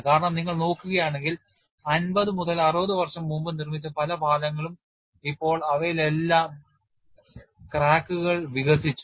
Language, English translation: Malayalam, Because if you look at many of the bridges built fifty to sixty years back, now they are all develop cracks and if you do not salvage it you have to rebuild up